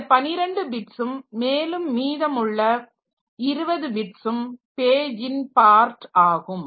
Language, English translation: Tamil, So, this is 12 bits and this remaining 20 bits so they constitute the page part